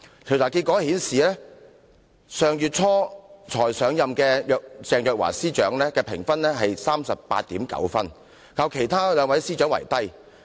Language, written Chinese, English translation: Cantonese, 調查結果顯示，上月初才上任的鄭若驊司長的得分是 38.9， 較其他兩位司長為低。, The findings of the survey showed that Secretary for Justice Teresa CHENG Ms CHENG who just took office earlier last month scored 38.9 points which was lower than the score of the other two Secretaries of Department